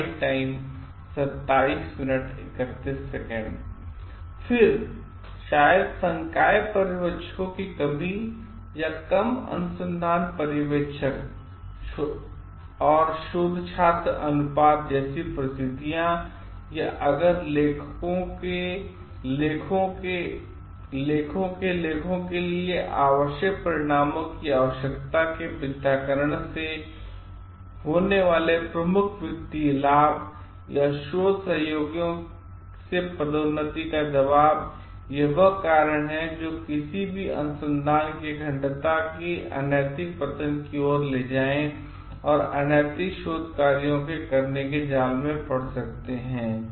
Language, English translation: Hindi, Then, maybe things like lack of faculty supervisors or low guide scholar ratio or if there is a major financial gain from falsification of liquid results needs for articles of promotion pressures from collaborators, these are some of the reasons like which may lead to somebody's research integrity to get the stem and may fall into a trap of doing unethical things